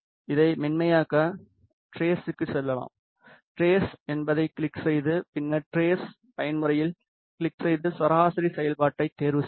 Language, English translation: Tamil, To smoothen this let us go to tress, click on tress then click on tress mode and choose the averaging function